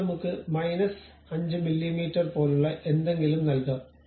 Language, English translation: Malayalam, Now, let us give something like minus 5 mm